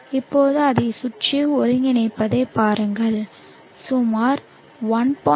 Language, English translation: Tamil, So here you see that it has integrated to around 1